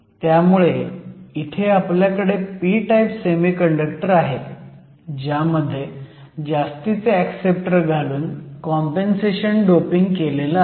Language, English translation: Marathi, So, what you have is essentially a p type semiconductor, where you have done compensation doping by adding excess amount of acceptors